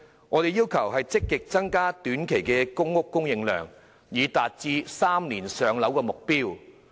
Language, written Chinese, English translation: Cantonese, 我們要求政府積極增加短期的公屋供應量，以達致3年"上樓"的目標。, We request the Government to actively increase the short - term supply of public housing so as to attain the goal of allocation within three years